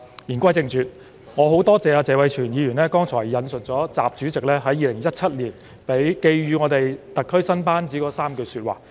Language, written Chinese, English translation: Cantonese, 言歸正傳，我很感謝謝偉銓議員剛才引述了習主席在2017年寄語特區新班子的3句說話。, Going back to the main points I really wish to thank Mr Tony TSE for citing President XIs words to the new team of principal officials of the SAR Government in 2017